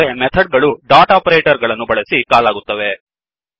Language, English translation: Kannada, Whereas the Method is called using the dot operator